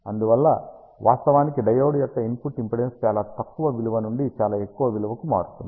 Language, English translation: Telugu, And hence the diodes input impedance actually varies from a very low value to very high value